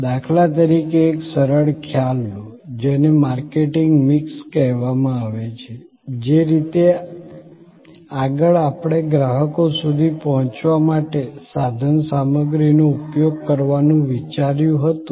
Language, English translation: Gujarati, Take for example a simple concept, which is called the marketing mix, the way earlier we thought of deployment of resources for reaching out to customers